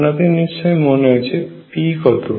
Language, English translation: Bengali, Remember what is p